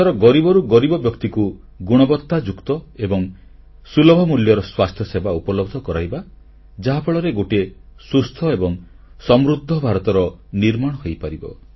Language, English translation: Odia, The sole aim behind this step is ensuring availability of Quality & affordable health service to the poorest of the poor, so that a healthy & prosperous India comes into being